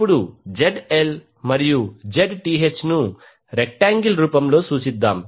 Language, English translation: Telugu, Now, let us represent ZL and Zth in rectangular form